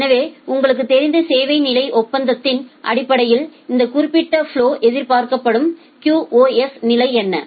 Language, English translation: Tamil, So, based on the service level agreement you know that, what is the expected QoS level for this particular flow